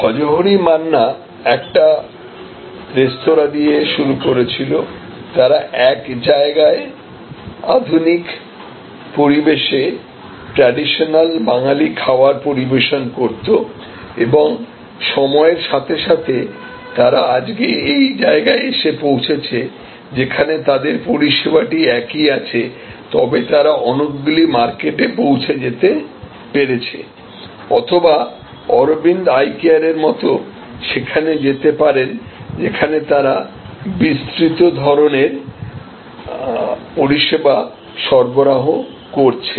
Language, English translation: Bengali, Bhojohori Manna started with one restaurant, serving traditional Bengali restaurant in modern ambiance in one location overtime they move here; that means, the service remains the same, but they can serve many markets or like Aravind Eye Care the move can be from here to here, which means you provide a wide ranges of services